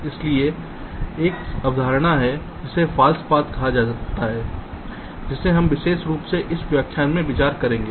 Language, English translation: Hindi, so there is a concept called false path that we shall be particularly considering in this lecture